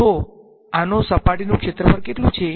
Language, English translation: Gujarati, So, what is the surface area of this